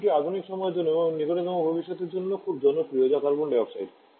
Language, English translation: Bengali, Second is the very popular one for the modern times and also for near future that is carbon dioxide